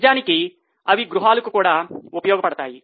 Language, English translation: Telugu, In fact, they are also useful for households